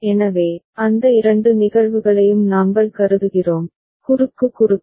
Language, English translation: Tamil, So, we consider for those two cases, cross cross